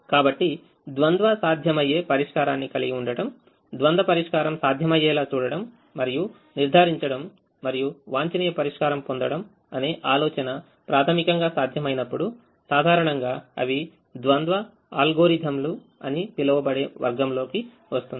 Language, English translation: Telugu, so this idea of having a dual feasible solution, ensuring that the dual solution is feasible, ensuring complimentary slackness and getting an optimum solution when the primal becomes feasible, generally comes in category of what are called dual algorithms